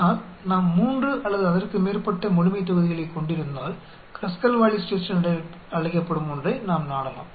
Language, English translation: Tamil, But if we are having 3 or more populations then we go resort to something called Kruskal Wallis Test